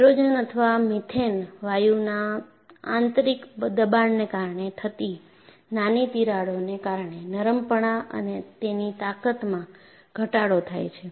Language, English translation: Gujarati, Tiny cracks that result from the internal pressure of hydrogen or methane gas causes loss in ductility and strength, and where do these form